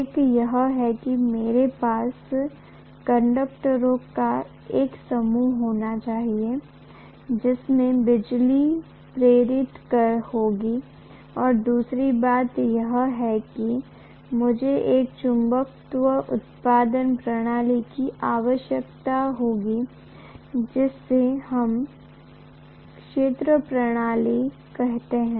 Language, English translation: Hindi, One is I should be able to have a bunch of conductors in which electricity will be induced and the second thing is I will need a magnetism producing system which we call as the field system